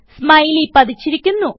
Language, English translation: Malayalam, A Smiley is inserted